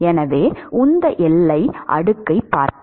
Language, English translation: Tamil, So, this is the boundary layer